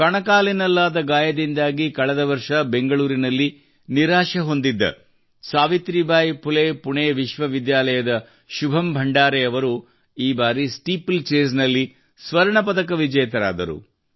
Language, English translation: Kannada, Shubham Bhandare of Savitribai Phule Pune University, who had suffered a disappointment in Bangalore last year due to an ankle injury, has become a Gold Medalist in Steeplechase this time